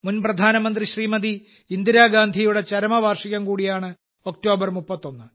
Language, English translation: Malayalam, The 31st of October is also the death anniversary of former Prime Minister Smt Indira Gandhi Ji